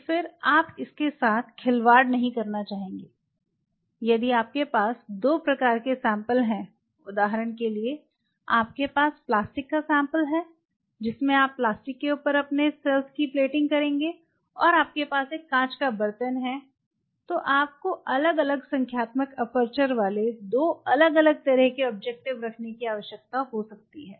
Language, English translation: Hindi, So, again you no mass up with it; if you have two kind of samples say for example, you have plastic sample you know that will be taking yourself on talk about plastic and you have a glass vessel, the you may need to have two different kind of objectives with different numerical aperture